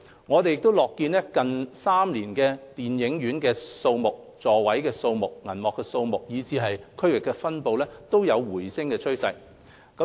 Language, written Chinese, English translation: Cantonese, 我們樂見近3年電影院數目、座位數目、銀幕數目和區域分布均有回升的趨勢。, We are delighted to see the upward trend in respect of the numbers of cinemas seats and screens in the past three years